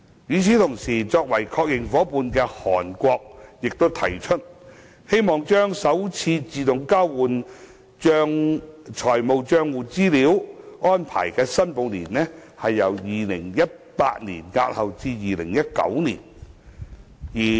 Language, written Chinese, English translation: Cantonese, 與此同時，作為確認夥伴的韓國提出，希望把首次自動交換資料的申報年，由2018年押後至2019年。, Meanwhile Korea a confirmed AEOI partner has indicated its wish to defer the first reporting year for AEOI from 2018 to 2019